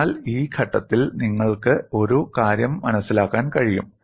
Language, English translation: Malayalam, So, at this stage, you can understand one thing